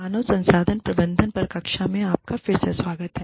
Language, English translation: Hindi, Welcome back, to the class on, Human Resources Management